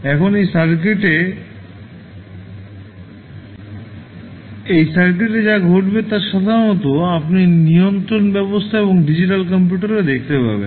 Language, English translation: Bengali, Now, it will occur in the circuit generally you will see in the control system and digital computers also